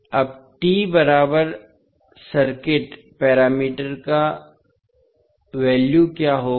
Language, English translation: Hindi, Now, what would be the value of T equivalent circuit parameters